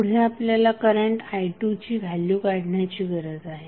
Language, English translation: Marathi, Next is you need to find out the value of current i 2, so how you will get i 2